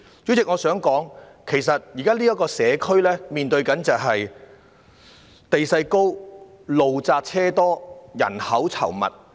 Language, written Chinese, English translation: Cantonese, 主席，我想說，其實這個社區現時正面對地勢高、路窄車多、人口稠密的問題。, President I want to say that the community is beset with high topography narrow roads with heavy traffic and dense population